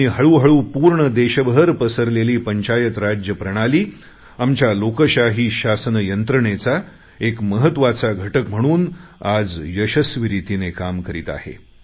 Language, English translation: Marathi, Panchayati Raj system has gradually spread to the entire country and is functioning successfully as an important unit of our democratic system of governance